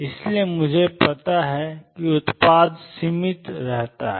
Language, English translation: Hindi, So, the product I know remains finite